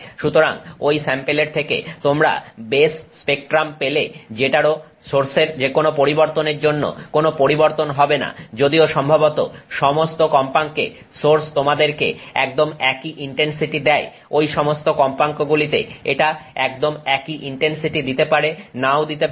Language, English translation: Bengali, So, uh, uh, so you get the base spectrum from that sample which also will have any, uh, you know, any variation that the source has even though the source is supposed to give you exactly the same intensity at all the frequencies, it may or may not give exactly the same intensity at all those frequencies